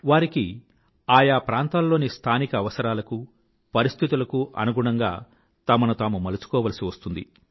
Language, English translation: Telugu, They have to mould themselves according to the local needs and environment